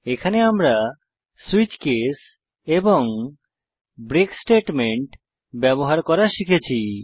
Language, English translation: Bengali, In this tutorial we have learnt how to use switch case construct and how to use break statement